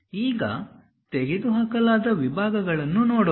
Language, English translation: Kannada, Now, let us look at removed sections